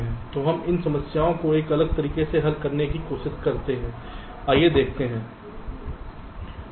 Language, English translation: Hindi, so we try to solve these problem in a different way